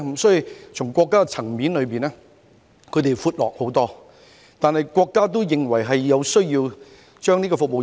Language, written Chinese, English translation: Cantonese, 所以，從國家層面而言，內地是寬闊得多，但國家也認為有需要提升服務業。, Hence at the national level the economy of the Mainland is much more diversified but the country considers it necessary to upgrade its service industries